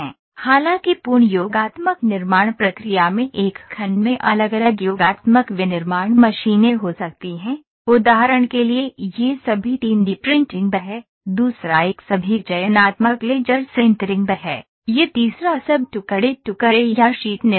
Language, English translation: Hindi, However the complete additive manufacturing process can have different additive manufacturing machines in one section, for instance this is all 3D printing, the second one is all selective laser sintering, this third one is all laminated or sheet manufacturing